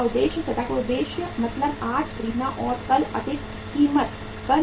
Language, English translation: Hindi, Speculative purpose means buy today and sell at a higher price tomorrow